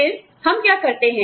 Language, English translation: Hindi, Then, what do we do